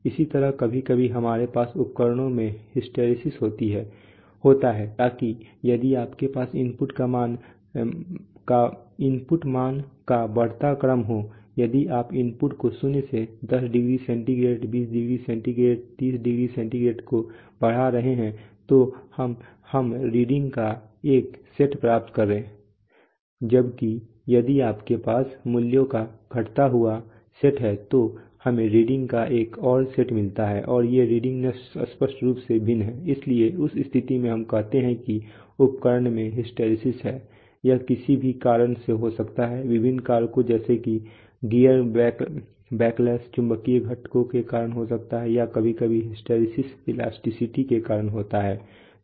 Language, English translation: Hindi, Similarly sometimes we have we have hysteresis in instruments, so that if you have an increasing sequence of input values if you are increasing the input from let us say zero 10 degree centigrade 20 degree centigrade, 30degree centigrade, they are increasing sequence of values then we get one set of readings, while if you have a decreasing set of values then we get another set of readings and these readings are distinctly different, right, so in that case we say that the instrument has an has a hysteresis, it can occur due to various factors like you know gears, gear backlash or it can occur due to you know magnetic components or sometimes by due to you know hysteresis which occurs due to elasticity